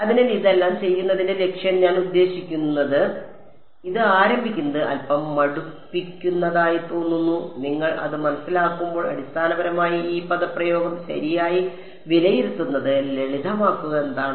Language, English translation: Malayalam, So, I mean the objective of doing all of this, it looks a little tedious to begin with, when you get the hang of it, it is basically to simplify evaluating this expression right